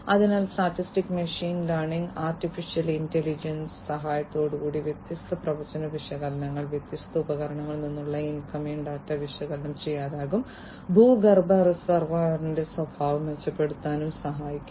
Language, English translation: Malayalam, So, different predictive analytics with the help of statistics machine learning artificial intelligence, as I said before can be used to analyze the incoming data from different devices and helping in improving the understanding of the behavior of the underground reservoir